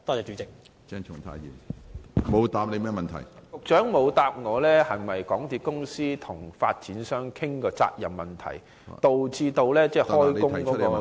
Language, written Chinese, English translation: Cantonese, 局長沒有回答我，港鐵公司是否曾與發展商商討責任問題，導致開工延誤。, The Secretary has not answered whether the delay of the works is caused by talks between MTRCL and the developer over the question of liability